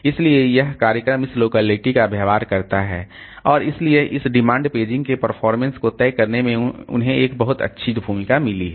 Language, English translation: Hindi, So, this program behavior, this locality and also they have got a very good role to play in deciding this performance of this demand paging situation